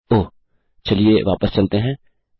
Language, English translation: Hindi, Oh lets go back